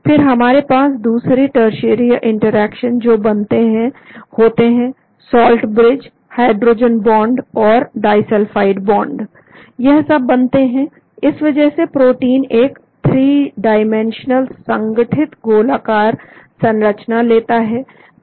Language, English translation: Hindi, Then we have the other tertiary interactions are formed; salt bridges, hydrogen bonds and disulfide bonds, all these are formed that is why the protein takes a 3 dimensional globular compact structure